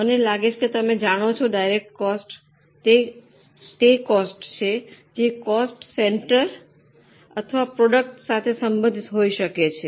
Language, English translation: Gujarati, I think you are remembering direct costs are those costs which can be attributed to a particular cost center or a product